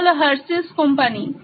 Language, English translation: Bengali, This is the company Hersheys